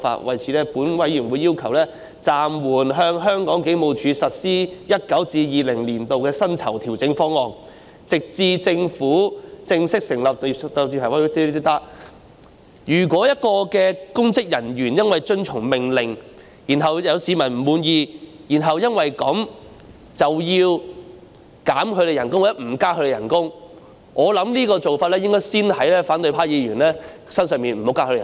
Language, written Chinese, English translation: Cantonese, 為此，本委員會要求暫緩向香港警務處實施 2019-2020 年度的薪酬調整方案，直至政府正式成立......如果有公職人員因為遵從命令而執行工作，令市民不滿，其薪酬因而遭到削減或不獲增加，我認為這種做法應該先用在反對派議員身上，不增加他們的薪酬。, In this connection this Panel demands that the 2019 - 2020 civil service pay adjustment offer for the Hong Kong Police Force be suspended pending the commissioning of If public officers who have caused public discontent for performing duties according to orders will thus suffer a pay cut or will not have any pay rise I consider that such a practice should first apply to Members from the opposition camp so that their pay will not be increased